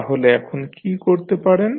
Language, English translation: Bengali, So, now what you can do